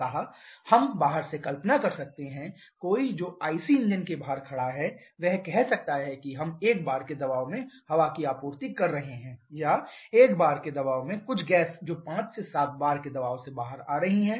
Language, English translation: Hindi, So, we can visualize from outside someone who is standing outside IC engine he or she may say that we are supplying air at a pressure of 1 bar or some gas at a pressure of 1 bar that is coming out of the pressure of 5 to 7 bar